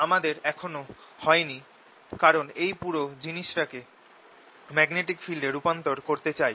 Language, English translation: Bengali, and that point we are not yet done because we want to convert this whole thing into the magnetic field